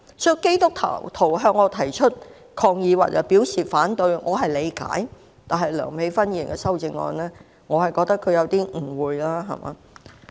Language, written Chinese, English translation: Cantonese, 所以，基督徒向我提出抗議，表示反對，我是理解的，但梁美芬議員的修正案，我覺得她有點誤會了。, I can thus understand why Christians protested against me and voiced out their objection to my support of the motion . But I think Dr Priscilla LEUNGs amendment has some misconceptions